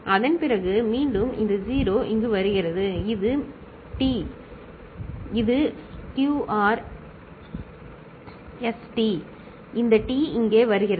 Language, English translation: Tamil, After that again this 0 comes over here, this is T ok, this is Q R S T, this T comes here